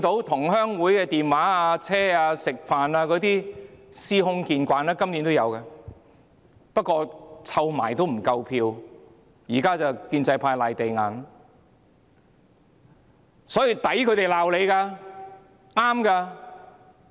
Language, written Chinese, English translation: Cantonese, 同鄉會的電話、專車接送、飯局等做法司空見慣，今年亦有發生，不過湊合起來仍不夠票數，現在建制派議員"賴地硬"。, Phone calls from clansmen associations shuttle buses and meal gatherings are common practices . The same has happened this year too although the pro - establishment camp did not get enough votes even with all this so now they blame it on something else